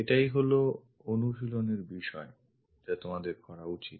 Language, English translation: Bengali, This is the exercise what you should really practice